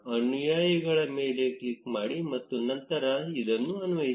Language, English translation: Kannada, Click on followers and then apply